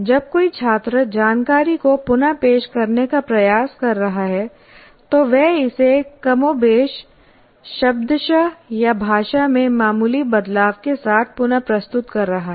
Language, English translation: Hindi, That means a student is exactly trying to reproduce the information more or less verbating or with the minor changes in the language